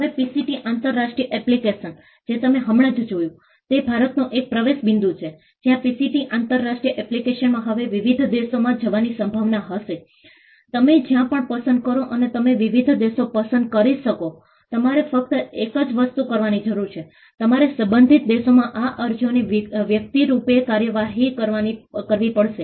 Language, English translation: Gujarati, Now, the PCT international application which you just saw, is an entry point in India, where the PCT international application will now have the potential to go to various countries; wherever you choose and you can choose different countries; the only thing that you will need to do is, you will have to individually prosecute these applications in the respective countries